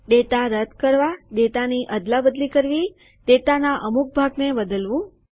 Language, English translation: Gujarati, Removing data, Replacing data, Changing part of a data